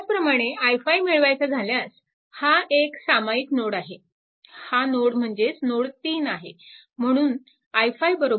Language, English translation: Marathi, So, i 5 this is a common node, this is all this node this node this node the same thing node 3